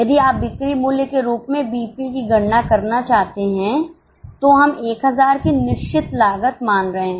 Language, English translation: Hindi, If you want to calculate BEP as a sales value, we had assumed fixed cost of 1,000